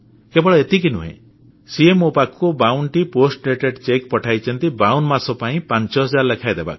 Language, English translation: Odia, And not just this, he sent me 52 cheques, post dated, which bear a date for each forthcoming month